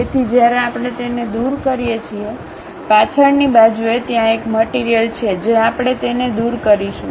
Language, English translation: Gujarati, So, when we remove that, at back side there is a material that one we are going to remove it